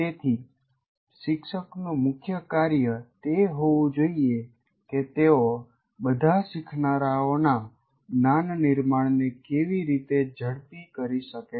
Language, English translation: Gujarati, So the main task of the teacher should be how do I foster the construction of the knowledge of all learners